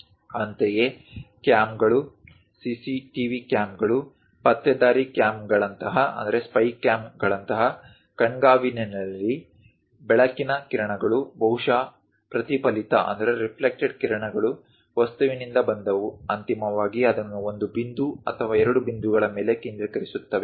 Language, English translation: Kannada, Similarly, in surveillance like cams, CCTV cams, spy cams; the light rays are perhaps from the object the reflected rays comes, finally focused it either one point or two points